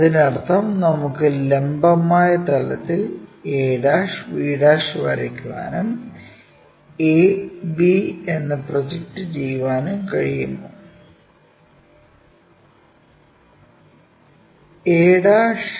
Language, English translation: Malayalam, That means, can we draw on the vertical plane the a', b', and then project it maybe a and b